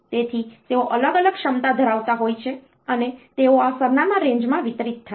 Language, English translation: Gujarati, So, they are of different capacity capacities and they are distributed over these address ranges